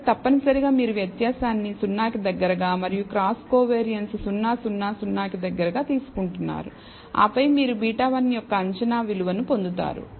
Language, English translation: Telugu, So, essentially you are taking the variance around 0 and the cross covariance around 0 0 0 and then you will get the estimated value of beta 1